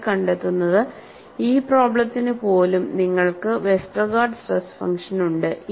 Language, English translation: Malayalam, You make a sketch of this and what you find is, you have a Westergaard stress function, even for this problem